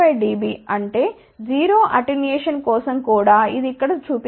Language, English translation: Telugu, 5 dB so; that means, even for 0 attenuation, which shows over here